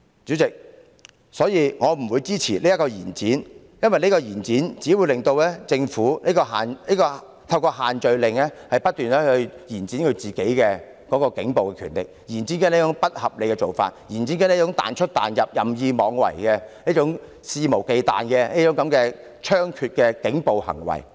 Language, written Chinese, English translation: Cantonese, 主席，我因此不會支持延展期限的決議案，因此舉只會令政府透過限聚令不斷延展警方的暴力，延展不合理的做法，延展"彈出彈入"、任意妄為、肆無忌憚的猖獗警暴行為。, President I will therefore not support the proposed resolution to extend the scrutiny period because this will only enable the Government to exploit the social gathering restrictions keep prolonging police brutality the unreasonable arrangements and moving the goalposts intensify the rampant problems of police brutality and their arbitrary and shameless actions